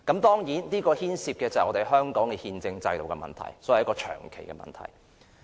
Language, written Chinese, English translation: Cantonese, 當然，這牽涉到香港的憲政制度，所以是長期的問題。, Since this issue involves the constitutional system of Hong Kong it is a long - term issue